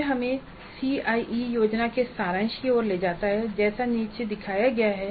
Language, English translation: Hindi, So that leads us to a summary of the CIA plan as shown below